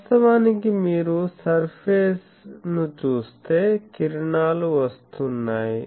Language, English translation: Telugu, Actually, the surface you see here the rays are coming